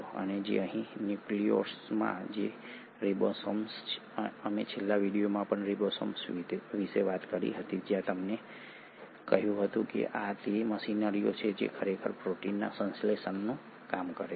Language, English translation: Gujarati, And it is here in the nucleolus that the ribosomes, we spoke about ribosomes in the last video as well where I told you that these are the machineries which actually do the work of synthesising proteins